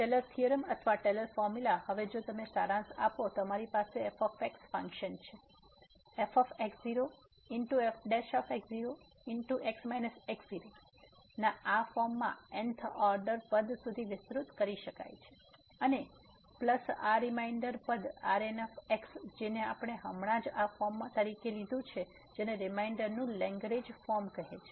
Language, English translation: Gujarati, The Taylor’s theorem or the Taylor’s formula now if you summarize we have the function which can be expanded in this form of f prime minus up to the this th order term and plus this reminder term which we have just derived as this form which is called the Lagrange form of the reminder